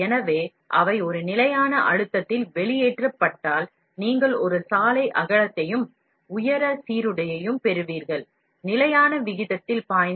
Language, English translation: Tamil, So, if they are extruded at a constant pressure, then you will get a road width, and height uniform, will flow at a constant rate and we will remain a constant cross section diameter